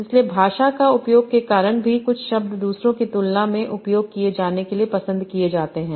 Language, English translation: Hindi, So because of language usage also some words are preferred to be used than others